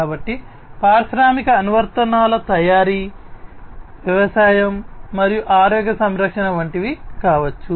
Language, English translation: Telugu, So, industrial applications could be many such as manufacturing, agriculture, healthcare, and so on